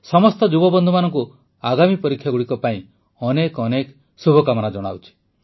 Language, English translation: Odia, Best wishes to all my young friends for the upcoming exams